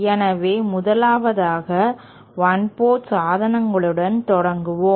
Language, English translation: Tamil, So, let us 1st, start with 1 port devices